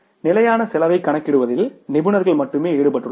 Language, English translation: Tamil, Only experts are involved in calculating the standard cost